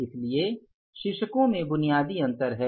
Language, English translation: Hindi, So, there is a basic difference in the titles